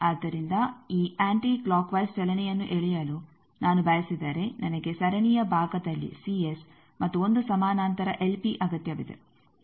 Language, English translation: Kannada, So, you can see that if I want this anti clockwise movement pulling then I need C S in the series part and 1 parallel l p